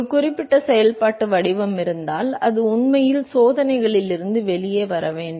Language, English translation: Tamil, If there is a certain functional form, it should actually come out of the experiments